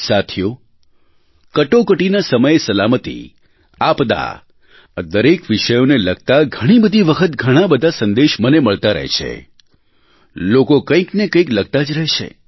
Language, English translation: Gujarati, Friends, safety in the times of crises, disasters are topics on which many messages keep coming in people keep writing to me